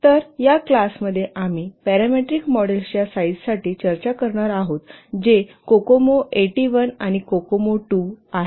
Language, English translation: Marathi, So in this class we will discuss the parameter models for size which is um, um, cocomo eighty one and cocoma two